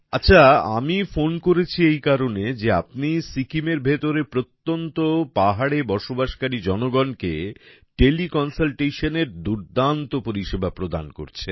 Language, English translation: Bengali, Well, I called because you are providing great services of teleconsultation to the people of Sikkim, living in remote mountains